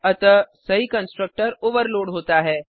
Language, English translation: Hindi, So the proper constructor is overloaded